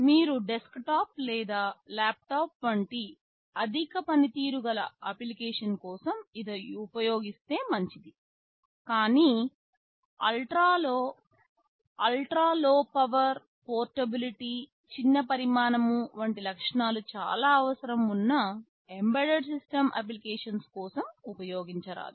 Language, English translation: Telugu, It is fine if you use it for a high performance application like a desktop or a laptop, but not for embedded system applications were ultra low power, portability, small size these features are quite essential